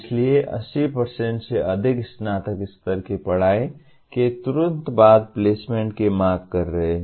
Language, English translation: Hindi, So, dominantly more than 80% are seeking placement immediately after graduation